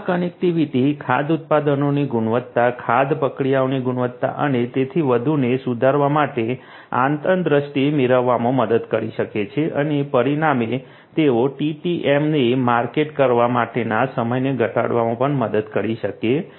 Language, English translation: Gujarati, This connectivity can help in gaining insights to improve the quality of the product food product, the quality of the food processes and so on and consequently they can also help in the reduction of the time to market TTM